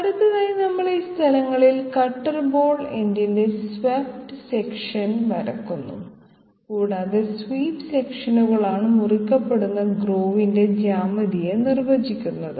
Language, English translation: Malayalam, Next we draw the swept section of the cutter end cutter ball end at these respective locations and swept sections are the once which define the geometry of the groove being cut